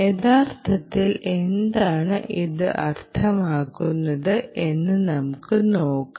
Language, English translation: Malayalam, lets see what that actually means